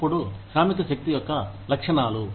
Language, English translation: Telugu, Then, characteristics of the workforce